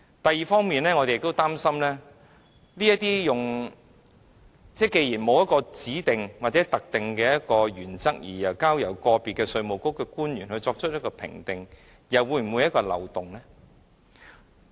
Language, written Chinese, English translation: Cantonese, 第二，我們也擔心，既然沒有指定或特定的原則，只交由個別稅務局官員作出評定，這又是否一個漏洞？, Second we also fear that another possible loophole may arise because assessment will be based on the judgments of individual IRD assessors rather than basing on any specific or prescribed principles